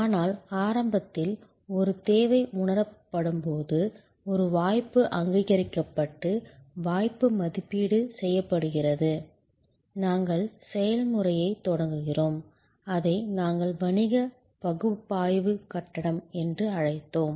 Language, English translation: Tamil, But, initially therefore, when a need is felt, an opportunity is recognized, the opportunity is evaluated, we start the process, which we called the business analysis phase